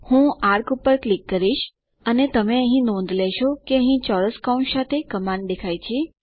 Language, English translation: Gujarati, I click on arc you will notice that the command appears here, with square brackets